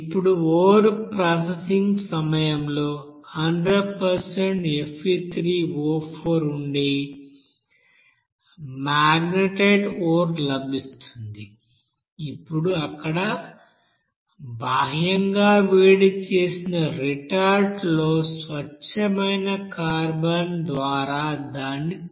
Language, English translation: Telugu, Now during that you know ore processing there, a magnetite ore that will contain you know 100% suppose Fe3O4 now it is to be subjected to reduction by pure carbon in an externally heated you know, retort there